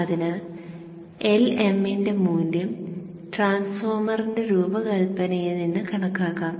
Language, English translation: Malayalam, So this is this is known, LM is known from design of the transformer, this value can be estimated